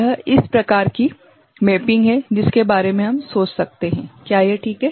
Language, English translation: Hindi, This is one kind of mapping we can think of is it ok